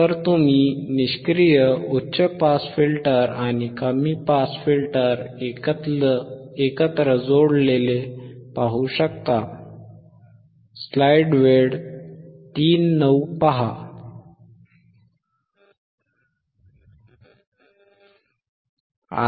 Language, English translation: Marathi, So, you can see the passive high pass filter and low pass filter these are connected together